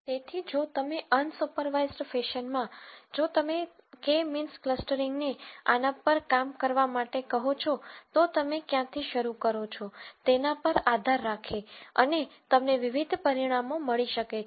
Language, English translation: Gujarati, So, if in an unsupervised fashion if you ask K means clustering to work on this, depending on where you start and so on, you might get different results